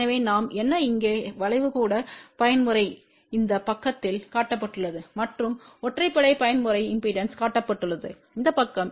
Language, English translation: Tamil, So, what we have the curve here even mode is shown on this side , and odd mode impedance is shown on this side